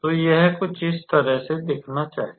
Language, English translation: Hindi, So, it must look something like this